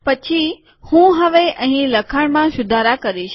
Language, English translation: Gujarati, Then, now I am going to improve the writing here